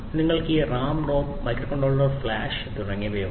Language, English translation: Malayalam, So, you have this RAM, ROM microcontroller flash and so on